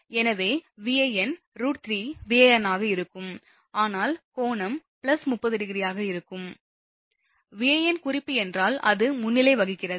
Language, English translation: Tamil, So, Vab will be root 3 Van, but angle will be plus 30 degree, because it is leading suppose if my Van is the reference, right